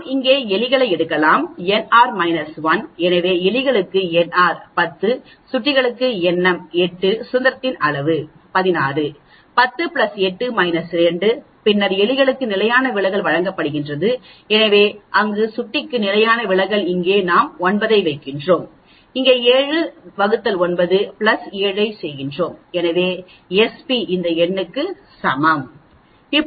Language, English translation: Tamil, We can take rats here n r minus 1, so n r for rats is 10, n m for mouse is 8, the degrees of freedom is 16, 10 plus 8 minus 2 then the standard deviation is given for rats, so squaring there standard deviation for mouse is given squaring that here we put 9, here we put 7 divided by 9 plus 7 so we get S p is equal to all these number